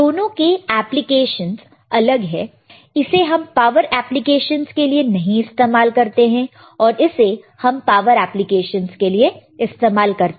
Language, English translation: Hindi, The application is different, this cannot be used in power applications, this can be used in power applications